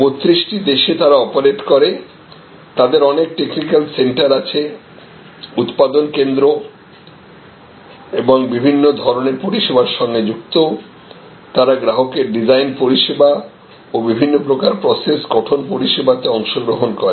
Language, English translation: Bengali, So, they operate in 32 countries, they have number of different technical centers, manufacturing sites as well as different kinds of services, because they participate in the design service as well as different kinds of process set up services of their customers